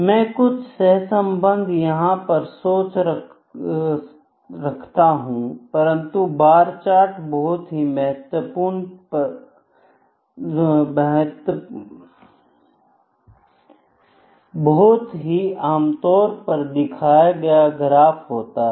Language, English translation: Hindi, I can just think of the some correlation between them, but bar charts is the very commonly used graphical representation